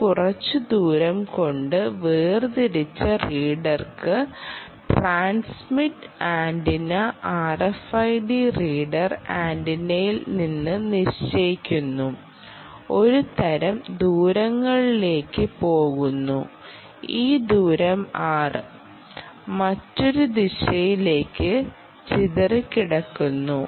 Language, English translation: Malayalam, they are separated by some distance r ok and a wave which travels from the transmitter antenna r f i d reader antenna goes all the way up to travels this distance, r and gets back scattered to another distance r right